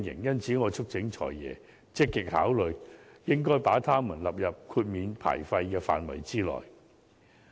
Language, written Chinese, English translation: Cantonese, 因此，我促請"財爺"積極考慮把它們納入豁免牌照費的範圍內。, I thus call on the Financial Secretary to actively consider including these businesses in the licence fee waivers